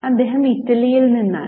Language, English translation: Malayalam, He is from Italy